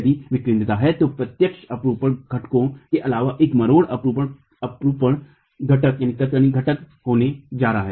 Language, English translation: Hindi, If there is eccentricity then apart from the direct shear components there is going to be a torsional shear component